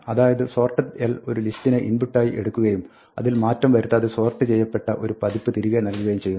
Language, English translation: Malayalam, So, sorted l takes an input list, leaves it unchanged, but it returns a sorted version